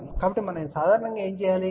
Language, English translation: Telugu, So, what we generally do